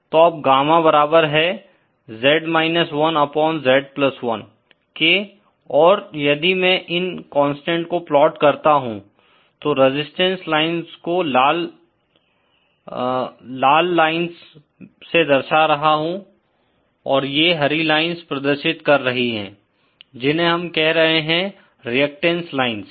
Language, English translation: Hindi, So, then Gamma is equal to [z 1] upon [z+1] and if I plot these constant resistance lines represented by these are red lines and these green lines are representing what I am calling constant reactance lines